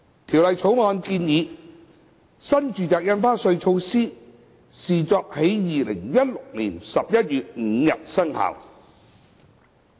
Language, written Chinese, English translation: Cantonese, 《條例草案》建議，新住宅印花稅措施視作在2016年11月5日生效。, The Bill proposes that the NRSD measure be deemed to have taken effect on 5 November 2016